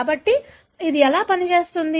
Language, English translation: Telugu, So, how does it work